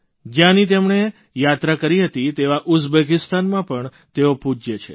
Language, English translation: Gujarati, He is revered in Uzbekistan too, which he had visited